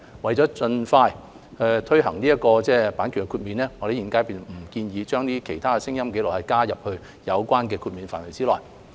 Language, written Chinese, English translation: Cantonese, 為了盡快推行與閱讀殘障人士有關的版權豁免，現階段我們不建議將其他聲音紀錄加入有關的豁免範圍內。, In order to expeditiously implement the copyright exceptions relating to persons with a print disability we do not suggest including other sound recordings in the scope of the relevant exceptions at this stage